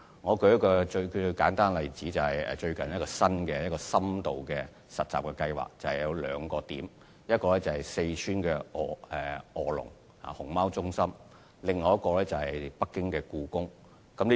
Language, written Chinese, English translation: Cantonese, 我舉一個簡單例子，就是最近一個新的深度實習計劃有兩個地點：一個是四川臥龍熊貓中心，另一個是北京故宮。, Let me cite a simple example which is a new in - depth internship scheme . It was recently launched in two locations namely the Panda Reserve in Wolong Sichuan and the Forbidden City in Beijing